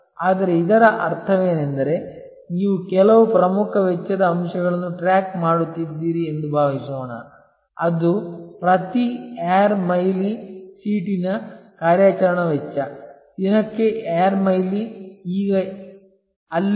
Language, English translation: Kannada, But, would which it means is that suppose you are tracking some a key cost element which is operational cost per air mile seat, air mile per day now there